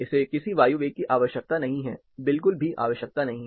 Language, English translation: Hindi, It does not need any air velocity; this does not arise at all